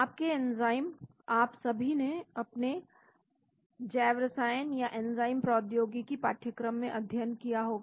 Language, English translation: Hindi, Your enzyme you must all have studied in your biochemistry or enzyme technology course